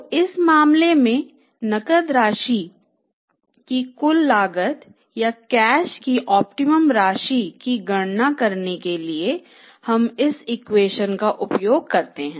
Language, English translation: Hindi, So, in this case to calculate the total cost of C amount of cash or the optimum amount of the cash we use this equation